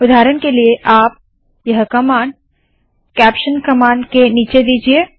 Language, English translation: Hindi, For example you give this command below the caption command